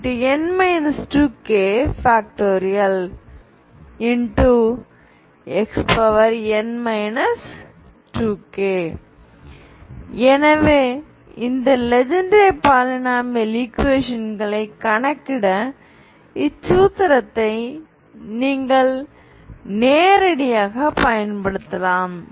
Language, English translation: Tamil, So this is the formula you can also use directly to calculate this Legendre polynomials, okay